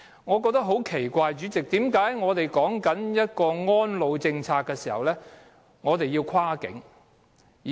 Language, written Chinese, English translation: Cantonese, 我覺得很奇怪，主席，為何我們的安老政策要有跨境安排。, President I find it strange that cross - boundary arrangement is such a staple in our elderly care policy